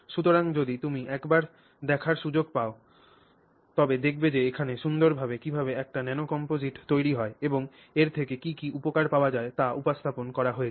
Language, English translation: Bengali, So, if you get a chance take a look at it, it's a paper which very nicely showcases how you create a nano composite and what benefits you can get from it